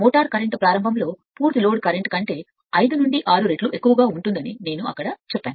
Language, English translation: Telugu, I told you there for the motor current at starting can be as large as 5 to 6 times the full load current